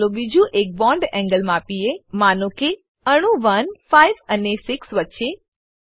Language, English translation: Gujarati, Lets measure another bond angle, say, between atoms 1, 5 and 6